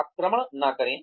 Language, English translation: Hindi, Do not attack